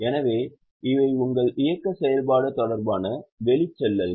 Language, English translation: Tamil, So, they are your operating activity related outflows